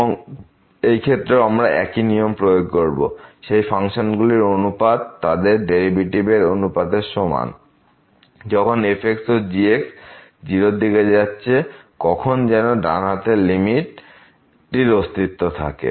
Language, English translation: Bengali, And, in this case also we have the same rule that this limit of the ratio of these two functions will be the limit of the ratio of their derivatives; when this and goes to 0 provided this right that the limit at the right hand side here this exists